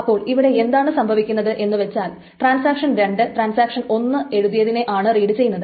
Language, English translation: Malayalam, Now essentially what is happening is that you see that transaction 2 is reading the A which is written by transaction 1